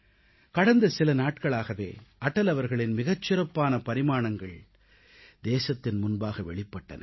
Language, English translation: Tamil, During these last days, many great aspects of Atalji came up to the fore